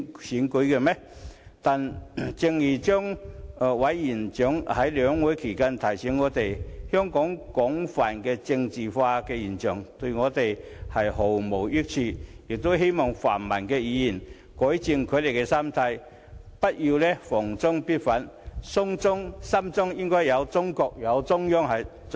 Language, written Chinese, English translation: Cantonese, 然而，正如張委員長在兩會期間提醒我們，香港廣泛的政治化現象對我們毫無益處，他希望泛民議員可以改正他們的心態，不要逢中必反，心中要有中國或中央才是。, And yet just as Chairman ZHANG has reminded us during the two sessions widespread politicization in Hong Kong will not bring us any good . He hopes that the pan - democratic Members will change their mindset and not to oppose China indiscriminately . Rather they should keep China or the Central Authorities in their heart